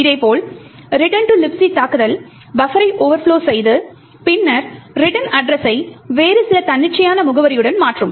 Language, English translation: Tamil, In a similar way the return to LibC attack would overflow the buffer and then replace the return address with some other arbitrary address